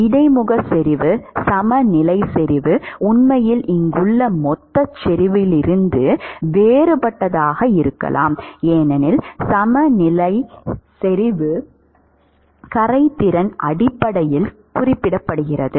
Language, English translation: Tamil, The interface concentration the equilibrium concentration can actually be different from the bulk concentration here because equilibrium concentration is specified based on the solubility